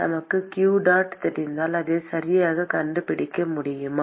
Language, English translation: Tamil, If we know q dot ,we can find it right